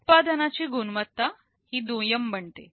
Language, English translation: Marathi, The quality of the product becomes secondary